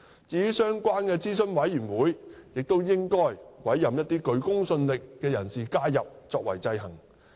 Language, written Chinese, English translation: Cantonese, 至於相關的諮詢委員會，亦應委任一些具公信力的人士加入作為制衡。, As for the relevant advisory committees people with credibility should be appointed as members to exercise checks and balance